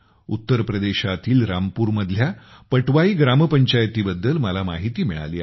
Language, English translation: Marathi, I have come to know about Gram Panchayat Patwai of Rampur in UP